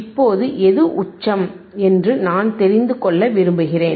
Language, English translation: Tamil, Now, which is the peak, I want to know